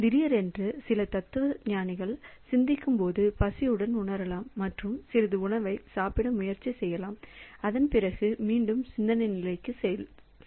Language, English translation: Tamil, So, all on a certain some philosopher while thinking may feel hungry and try to eat some food and after that again goes into the thinking state